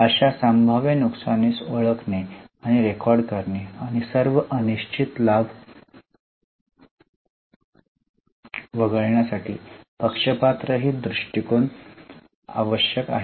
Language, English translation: Marathi, Unbiased outlook is required to identify and record such possible losses and to exclude all uncertain gain